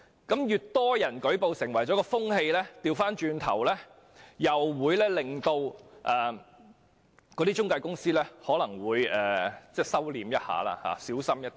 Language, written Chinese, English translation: Cantonese, 當越多人舉報，便會形成一種風氣，反過來會令中介公司稍為收斂，更謹慎行事。, With more and more people making a report a trend will be formed which will in turn make intermediaries exercise some restraint and act with greater caution